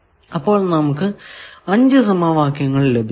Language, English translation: Malayalam, So, this we are calling second equation